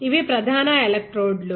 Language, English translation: Telugu, So, this is main electrodes